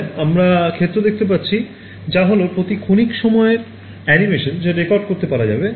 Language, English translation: Bengali, So, yeah this we can see this is the animation at every time instant you can record the field